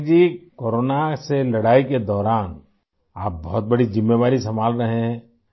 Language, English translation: Urdu, Patnaik ji, during the war against corona you are handling a big responsibility